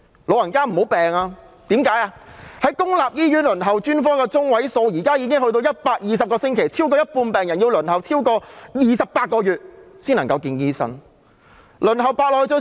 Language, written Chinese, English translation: Cantonese, 現時公立醫院專科的輪候時間中位數已高達120個星期，超過一半病人要輪候超過28個月才能獲醫生接見。, The median waiting time for specialist services at public hospitals is currently as long as 120 weeks with more than half of the patients having to wait more than 28 months before they can see a doctor